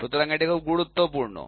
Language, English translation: Bengali, So, this is also very important